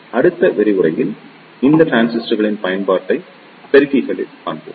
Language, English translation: Tamil, So, in the next lecture you will see the application of these transistors in amplifiers